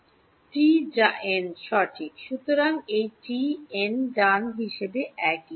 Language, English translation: Bengali, T which is n right; so, this t is the same as n, right